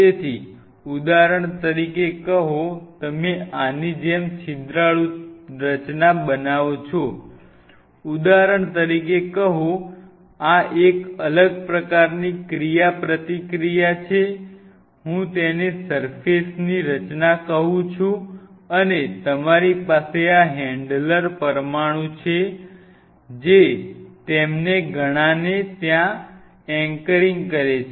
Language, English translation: Gujarati, So, say for example, you form a porous structure like this say for example, like this a different kind of interaction say for example, this I call it a surface structure and you have these handler molecules which are in anchoring them there are several of them